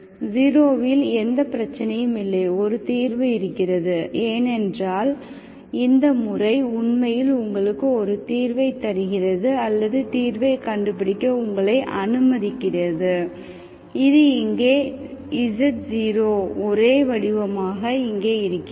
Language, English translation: Tamil, What happens at 0, at 0 also there is no issue, there is a solution because, because the method only is actually giving you, allowing you to find the solution, this here once and here as the same expression